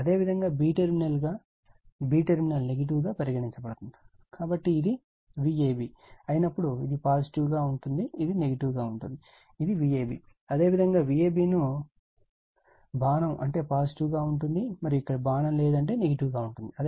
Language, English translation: Telugu, And your b terminal is your negative right, it is negative, so that means when it is V a b this is positive, this is negative, it is V a b you can write V a b, arrow means positive arrow means positive, and here no arrow means negative